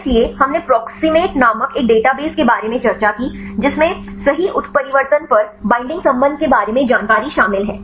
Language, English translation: Hindi, So, we discussed about a database called the proximate right, which contains information regarding the binding affinity upon mutations right